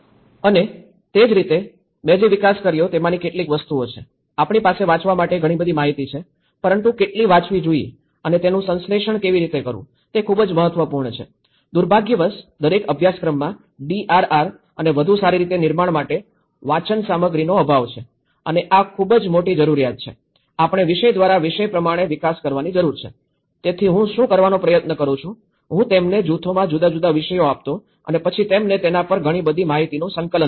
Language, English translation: Gujarati, And similarly, some of the things what I also developed is; we have so much of information to read but how much to read and how to synthesize, it is a very important aspect, unfortunately, for each course there is a lack of reading materials for DRR and build back better and this is a very great need that we need to develop by topic by topic so, what I try to do is; I used to give them different topics within the groups and then let them compile a lot of information on it